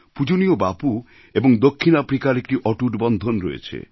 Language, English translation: Bengali, Our revered Bapu and South Africa shared an unbreakable bond